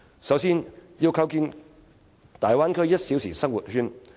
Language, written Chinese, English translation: Cantonese, 首先，我認為要構建大灣區"一小時生活圈"。, First I think it is necessary to build the Bay Area one - hour living circle